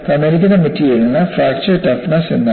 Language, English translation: Malayalam, For the given material, what is a fracture toughness